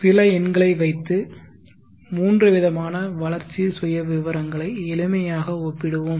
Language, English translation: Tamil, Let us put some numbers and make a simple comparison of the three growth profiles